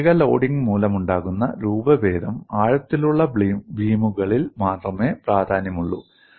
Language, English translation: Malayalam, The deformations due to shear loading become significant only in deep beams